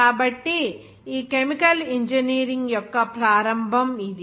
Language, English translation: Telugu, So this is the beginning of this chemical engineering